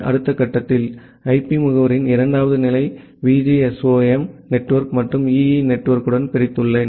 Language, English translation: Tamil, And in the next step, I have divided these, the second level of IP address to the VGSOM network and the EE network